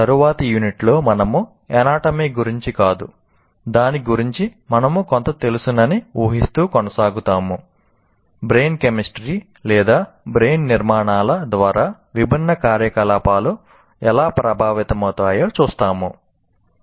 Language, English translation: Telugu, And in the next unit will continue the not about the anatomy, but assuming that we know something about it, how different activities kind of are influenced by the brain chemistry or brain structures